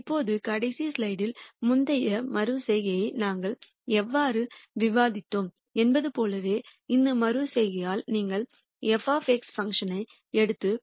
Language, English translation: Tamil, Now, again much like how we discussed the previous iteration in the last slide, in this iteration if you were to take the function f of X and then set it equal to minus 2